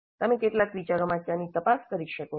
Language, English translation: Gujarati, You can examine this for some of these ideas